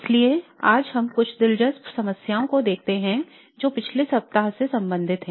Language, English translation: Hindi, So today we look at some interesting problems that relate to the past week